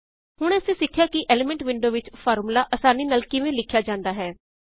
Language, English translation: Punjabi, Now we learnt how to use the Elements window to write a formula in a very easy way